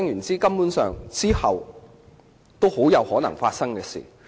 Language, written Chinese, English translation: Cantonese, "這是很有可能發生的事。, This probably could have happened